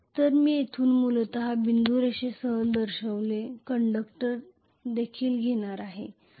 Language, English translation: Marathi, So I am going to have essentially here also the conductors which are shown with dotted line,ok